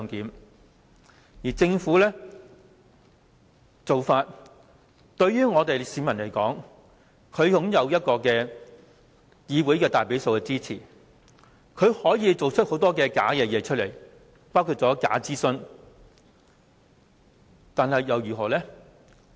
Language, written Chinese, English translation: Cantonese, 對市民而言，政府在議會內擁有大比數的支持，可以做出很多虛假的事情，包括假諮詢，但這又如何？, As far as the public are concerned since the Government has a majority support in the legislature it can achieve a lot of bogus things including fake consultation but does it matter?